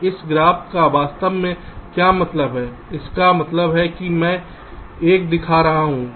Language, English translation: Hindi, so what this graph actually means